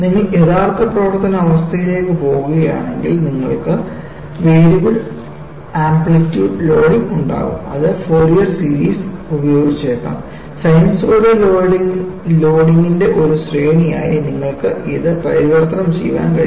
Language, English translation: Malayalam, If you really go to actual service condition, you will have variable amplitude loading, which could be using Fourier series; you will be able to convert at that, as a series of sinusoidal loading